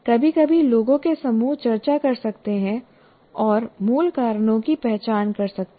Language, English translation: Hindi, Sometimes groups of people can discuss and identify the root causes